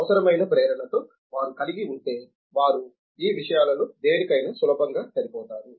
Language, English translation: Telugu, If they have that in a necessary inspiration they can easily fit into any of these things